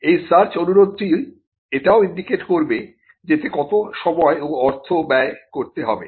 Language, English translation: Bengali, And this search request would indicate what is the time and cost that has to be expended in the search